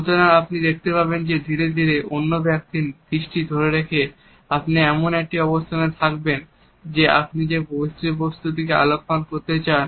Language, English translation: Bengali, So, you would find that gradually by captivating the eyes of the other person, you would be in a position to make the other person look at the point you want to highlight